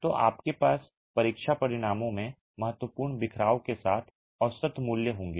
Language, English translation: Hindi, So, you will have average values with significant scatter in the test results